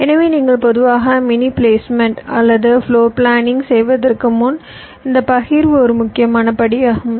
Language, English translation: Tamil, ok, so this partitioning is a important steps before you go for mini placement or floorplanning, typically